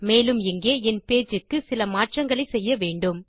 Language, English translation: Tamil, And we will have to make a few adjustments to my page here